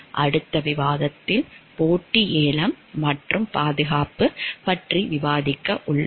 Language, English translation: Tamil, In the next discussion we are going to discuss about competitive bidding and safety